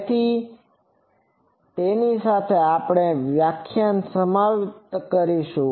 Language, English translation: Gujarati, So, with that we will conclude this lecture